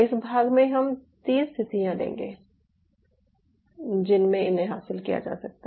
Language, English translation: Hindi, so in this fragment i will take three situations: how this is being achieved